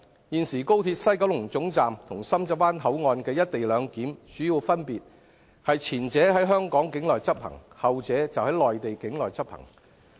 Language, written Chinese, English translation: Cantonese, 現時高鐵西九龍總站與深圳灣口岸的"一地兩檢"主要分別是，前者在香港境內執行，後者則在內地境內執行。, The major difference between the co - location arrangement to be adopted in the West Kowloon Terminus and that adopted in the Shenzhen Bay Port is that the former is to be implemented within Hong Kong border and the latter is done within Mainland border